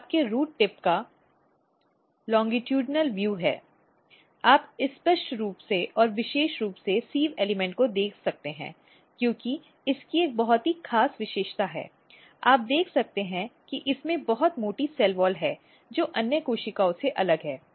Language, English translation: Hindi, So, this is longitudinal view of your root tip, you can clearly and very specifically see the sieve elements of because of it is a very special feature you can see that it has a very thick cell wall which distinguish from other cells